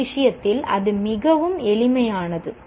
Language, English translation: Tamil, This process is very simple to understand